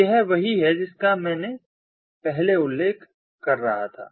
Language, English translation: Hindi, so this, this is what i was mentioning earlier